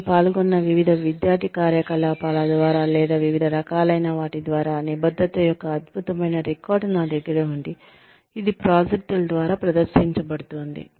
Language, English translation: Telugu, I have an excellent record of commitment, through the various student activities, I have participated in, or through the various, which is exhibited, through the projects, have taken to fruition, etcetera